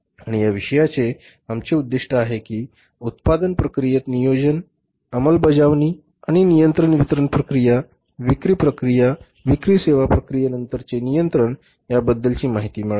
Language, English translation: Marathi, And other purpose in this subject is to learn about the planning, execution and the control of the manufacturing process, distribution process, selling process and after sales service process